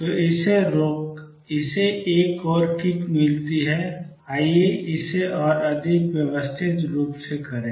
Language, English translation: Hindi, So, it gets another kick, let us do it more systematically